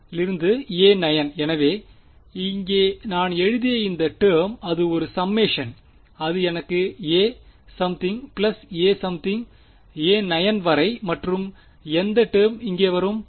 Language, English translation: Tamil, So, this term over here that I have written is since its a summation I am going to get a 1 something plus a 2 something all the way up to a 9 something right and which term will come over here